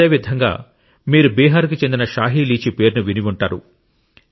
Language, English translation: Telugu, Similarly, you must have also heard the name of the Shahi Litchi of Bihar